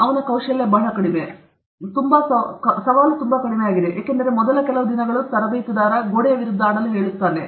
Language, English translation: Kannada, His skill is very low, and his challenge is very low, because first few days the coach will ask him to play against the wall